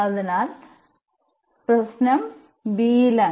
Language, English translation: Malayalam, So, the problem was at b